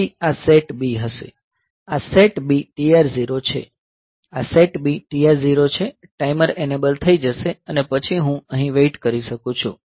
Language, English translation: Gujarati, Then this will be SETB; this is SETB TR 0; this is say SETB TR 0; so, the timer will be enabled and then I can just wait here